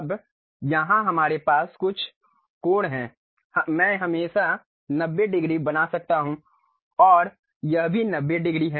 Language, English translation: Hindi, Now, here we have certain angles I can always make 90 degrees and this one also 90 degrees